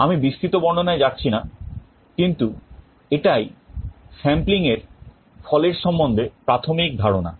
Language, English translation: Bengali, I am not going into detail, but this is the basic idea on the result of sampling